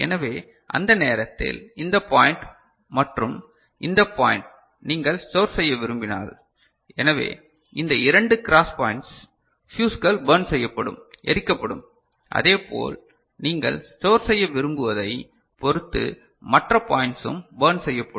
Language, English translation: Tamil, So, at that time this point and this point if you want to store, so, these two cross points, fuses will be burnt and similarly, other points depending on what you want to store